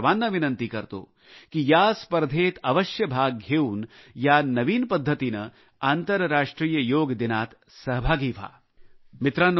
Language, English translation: Marathi, I request all of you too participate in this competition, and through this novel way, be a part of the International Yoga Day also